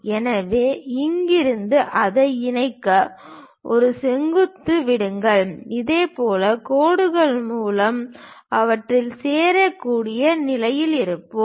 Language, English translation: Tamil, So, from here drop a perpendicular to connect it so that, we will be in a position to join these by lines